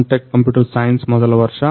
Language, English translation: Kannada, first year computer science